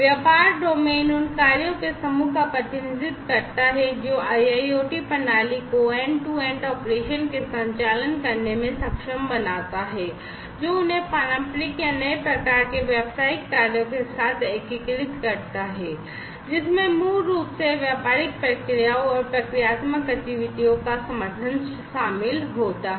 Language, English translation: Hindi, The business domain represents the set of functions which enables end to end operations of the IIoT system by integrating them with the traditional or, new type of business function, which basically includes supporting business processes and procedural activities